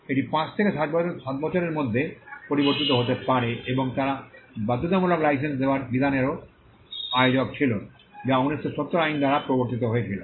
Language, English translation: Bengali, It would vary between five to seven years and they were also host of provisions on compulsory licensing which was introduced by the 1970 act